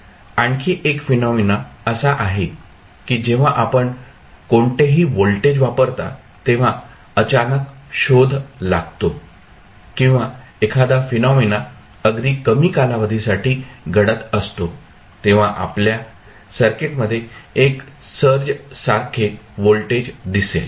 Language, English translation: Marathi, Another phenomena is that whenever you apply any voltage there might be some sudden search coming up or maybe any event which is happening very for very small time period, you will have 1 search kind of voltage appearing in the circuit